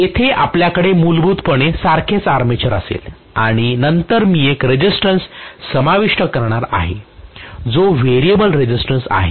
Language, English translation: Marathi, So we are going to have essentially the same armature here and then I am going to include a resistance which is the variable resistance